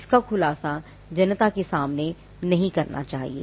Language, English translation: Hindi, It should not be disclosed to the public